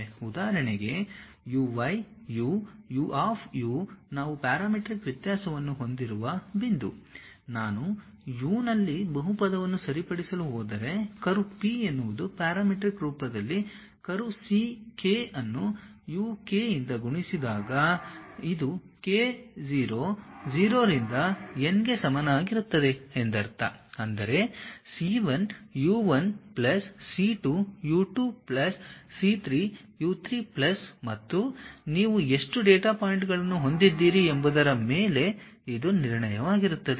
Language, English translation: Kannada, For example, a curve x of u, y of u, z of u the point we have parametric variation, if I am going to fix a polynomial in u then the curve P is the curve in parametric form can be written as c k multiplied by u k, it is more like the summation k is equal to 0 to n means c 1 u 1 plus c 2 u 2 plus c 3 u 3 plus and so on how many data points you have that much